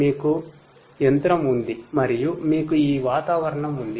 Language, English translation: Telugu, You have a machine and you have this environment